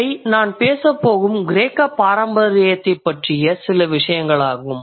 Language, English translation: Tamil, And these are just a few things about the Greek tradition I'm going to talk about